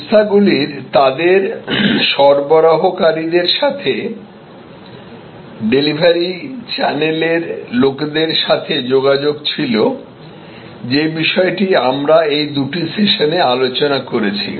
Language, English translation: Bengali, So, it had connection with suppliers and it had connection with the deliverers, the channels, the topic that we are discussing in these two sessions